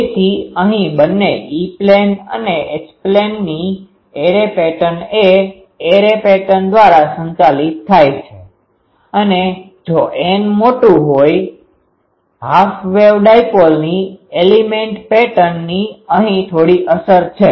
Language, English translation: Gujarati, So, here both E and H plane patterns are governed by array pattern and if n is large; the element pattern of half wave dipole has little effect here